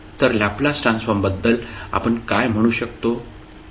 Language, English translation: Marathi, So what we can say about the Laplace transform